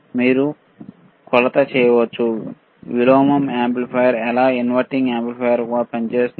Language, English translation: Telugu, You can do measure for example, the inverting amplifier how inverting amplifier operates, right